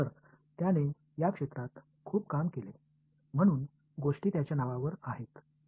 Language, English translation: Marathi, So, he worked a lot in this area, so things go after his name right